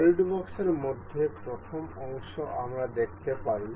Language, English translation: Bengali, In solidworks the first part we can see